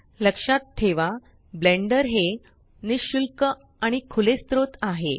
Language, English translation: Marathi, Blender is free and open source